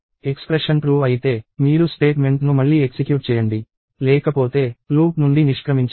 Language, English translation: Telugu, If the expression is true, you re execute the statement; otherwise, exit the loop